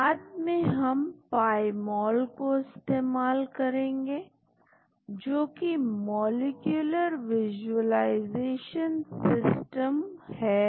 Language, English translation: Hindi, Later on we will use Pymol, which is a molecular visualization system